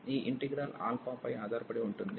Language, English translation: Telugu, This integral depends on alpha